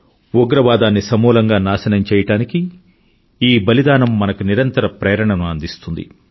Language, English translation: Telugu, This martyrdom will keep inspiring us relentlessly to uproot the very base of terrorism; it will fortify our resolve